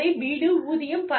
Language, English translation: Tamil, Housing, wages, money